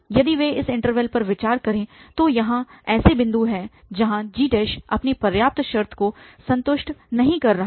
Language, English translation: Hindi, 6 something if they will consider this interval there are points here where f g prime is not satisfying their sufficient condition